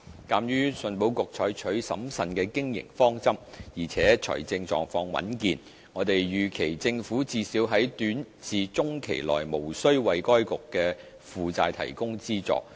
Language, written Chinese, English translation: Cantonese, 鑒於信保局採取審慎的經營方針，而且財政狀況穩健，我們預期政府最少在短至中期內無須為該局的負債提供資助。, In view of ECICs prudent approach to business and its healthy financial condition we do not expect that there would be a need for the Government to provide funding to ECIC to meet its liabilities in at least the short to medium term